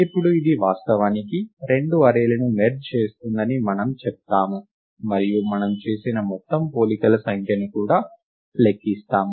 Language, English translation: Telugu, Now we will argue that this indeed, merges the two arrays and we will also count the total number of comparisons made